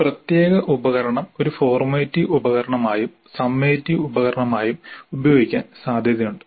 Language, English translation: Malayalam, It is possible that a particular instrument is used both as a formative instrument as well as summative instrument